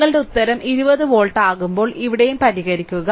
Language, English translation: Malayalam, So, when you are and answer is 20 volt, here also you please solve